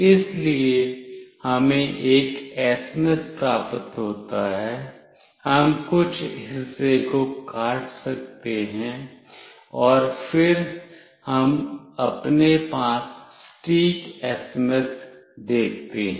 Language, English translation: Hindi, So, we receive an SMS, we cut out some portion, and then we see the exact SMS with us